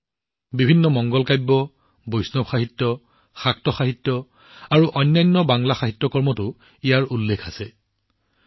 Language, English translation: Assamese, It finds mention in various Mangalakavya, Vaishnava literature, Shakta literature and other Bangla literary works